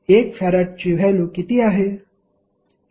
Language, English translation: Marathi, What is the value of 1 farad